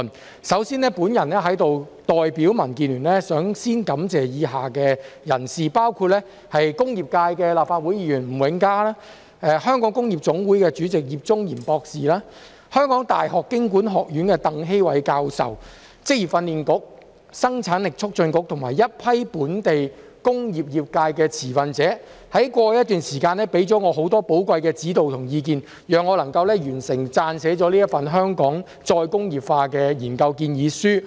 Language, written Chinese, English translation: Cantonese, 我首先代表民主建港協進聯盟感謝以下人士，包括工業界立法會議員吳永嘉、香港工業總會主席葉中賢博士、香港大學經濟及工商管理學院鄧希煒教授、職業訓練局、生產力促進局及一批本地工業界的持份者，在過去一段時間給我很多寶貴的指導及意見，讓我能完成撰寫這份"香港再工業化"的研究建議書。, First of all on behalf of the Democratic Alliance for the Betterment and Progress of Hong Kong DAB I would like to thank the following people including Mr Jimmy NG Member of the Legislative Council from the industrial sector Dr Daniel YIP Chairman of the Federation of Hong Kong Industries Prof TANG Hei - wai from the Hong Kong University Business School the Vocational Training Council VTC the Hong Kong Productivity Council and a group of stakeholders from the local industrial sector for giving me a lot of valuable guidance and advice over a period of time which has enabled me to complete this study proposal on Re - industrialization of Hong Kong